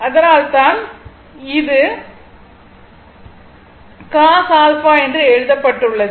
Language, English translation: Tamil, That is why it is written cos alpha